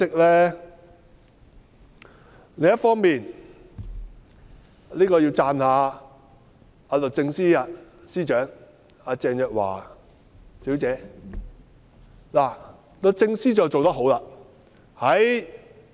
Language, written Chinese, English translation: Cantonese, 另一方面，我要讚一讚律政司司長鄭若驊女士及律政司做得好。, On the other hand I will commend Ms Teresa CHENG the Secretary for Justice and the Department of Justice for doing a good job